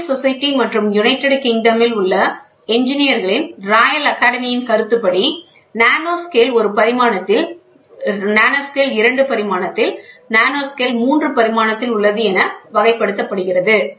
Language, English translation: Tamil, According to royal society, and royal academy of engineers in United Kingdom, nanoscale is one in one dimension, nanoscale in two dimension, nanoscale in three dimension